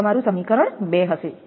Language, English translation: Gujarati, So, this is equation two